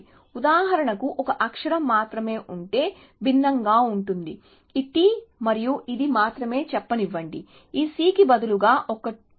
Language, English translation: Telugu, So, let us say that, for example if there is only one character, which is different, if let us say only this T and this, instead of this C there was a